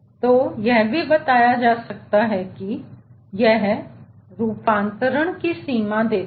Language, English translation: Hindi, so this can also be talked told that it gives limits of conversion